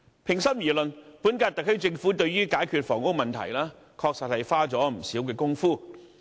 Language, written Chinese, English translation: Cantonese, 平心而論，本屆特區政府對於解決房屋問題，確實花了不少工夫。, In all fairness the current - term SAR Government has indeed made many efforts to tackle the housing problem